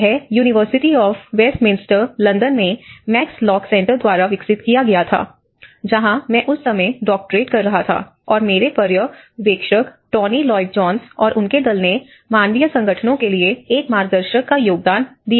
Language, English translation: Hindi, It was developed by the Max Lock Center in University of Westminster, London where I was doing my doctoral research at that time and my supervisor Tony Lloyd Jones and his team they have contributed a guidebook for the humanitarian agencies